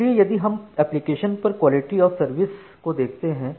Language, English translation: Hindi, So, if we look into the Application level Quality of Service